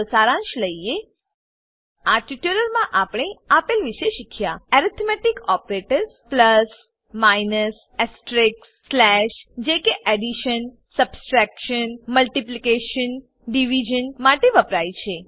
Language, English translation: Gujarati, Lets summarize In this tutorial we have learnt about Arithmetic Operators plus minus astreisk slash standing for addition, subtraction, multiplication, division